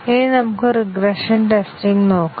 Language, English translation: Malayalam, Now, let us look at regression testing